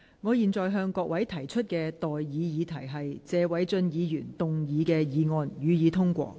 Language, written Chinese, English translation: Cantonese, 我現在向各位提出的待議議題是：謝偉俊議員動議的議案，予以通過。, I now propose the question to you and that is That the motion moved by Mr Paul TSE be passed